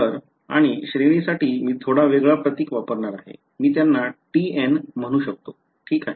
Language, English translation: Marathi, So, b n and for the range I am going to use a slightly different symbol I am going to call them t n ok